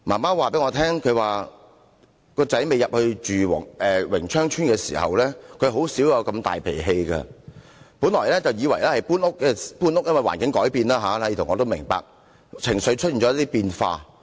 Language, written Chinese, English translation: Cantonese, 他的母親告訴我，未遷入榮昌邨前，他的兒子甚少發那麼大脾氣，本來以為是搬屋，因為環境改變，這點我也明白，令情緒出現變化。, His mother told me that before they moved in Wing Cheong Estate her son seldom had big tempers . She thought that changes in the environment after moving to the new home might have caused his emotional changes and I can identify with her on this point